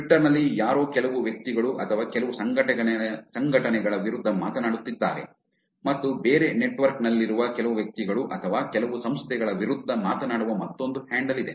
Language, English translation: Kannada, Somebody is actually speaking against some people or some organization on Twitter and there's another handle which is speaking against some people or some organization on Twitter